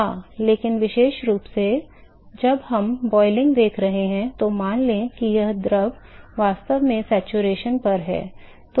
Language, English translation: Hindi, Yeah, but particularly when we are looking at boiling, assume that the fluid is actually at the saturation